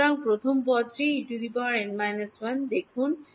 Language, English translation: Bengali, So, look at the first term E n minus 1